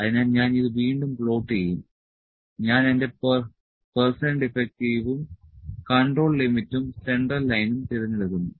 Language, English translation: Malayalam, So, I will just plot it again, so I will pick my percent defective and my control limits and central line